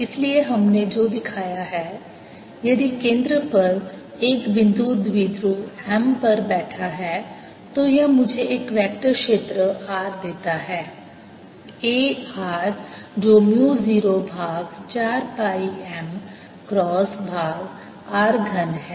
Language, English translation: Hindi, so what we have shown is if there is a point dipole m sitting at the origin, this gives me a vector field r a r which is mu naught over four pi m cross r over r cubed